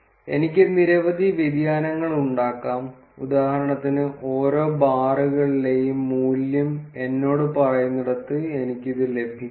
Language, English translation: Malayalam, I can have several variations, for instance I can have this where it tells me the value at each of the bars